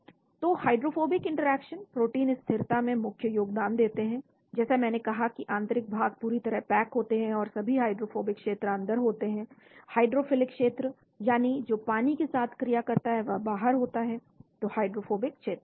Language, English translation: Hindi, So hydrophobic interactions make the major contributions to protein stability, like I said the interiors are tightly packed and all the hydrophobic regions are inside, the hydrophilic that is the regions which interact with water are outside, so hydrophobic regions